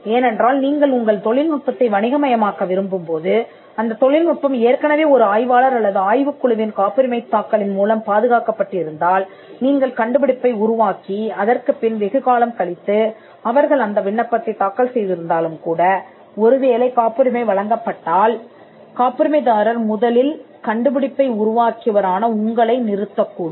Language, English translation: Tamil, Because, if your technology needs to be commercialized and that technology was protected by a patent file by another researcher or another team though the patent could have been filed much after you invent that the technology; still when the patent is granted, the patent holder can stop the person who developed the invention in the first case